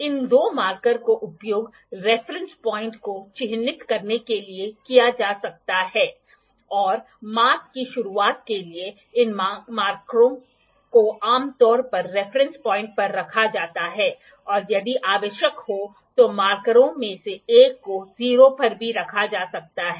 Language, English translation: Hindi, These two markers are used to mark the reference point and for the start of the measurements these markers are generally kept at the reference point or may be one of the markers could be kept at the 0 as well if required